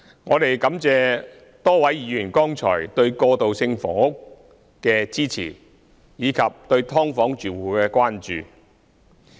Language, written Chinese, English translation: Cantonese, 我們感謝多位議員剛才對過渡性房屋的支持，以及對"劏房"住戶的關注。, We thank various Members for expressing just now their support for transitional housing and their concern about residents of subdivided units